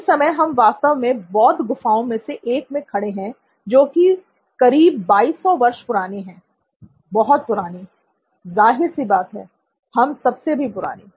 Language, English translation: Hindi, Right now, we are actually standing in one of the Buddhist caves which is close to 2200 years old, very very old